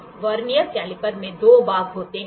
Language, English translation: Hindi, So, in a Vernier caliper, Vernier caliper consists of 2 parts